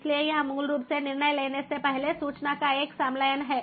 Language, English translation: Hindi, so it is basically fusion of information prior to decision making